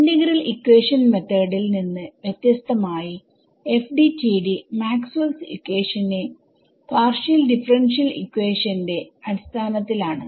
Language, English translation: Malayalam, So, unlike the integral equation methods the FDTD is based on the partial differential equation form of Maxwell’s equations ok